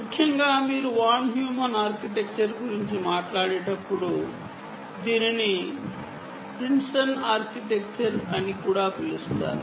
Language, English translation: Telugu, essentially, when you talk about ah, von heuman architecture also its called the prinston architecture